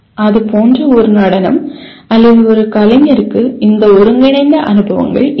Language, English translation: Tamil, A dance like that or a performing artist will kind of have these integrated experiences